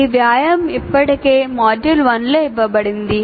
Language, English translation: Telugu, This exercise we already asked in the module 1